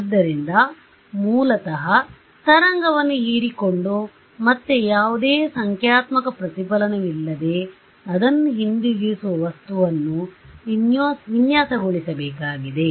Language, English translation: Kannada, So, I have to design this material which basically absorbs the wave and again it send it back so, no numerical reflection ok